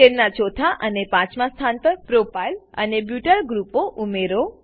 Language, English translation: Gujarati, Add Propyl and Butyl groups at the fourth and fifth positions of the chain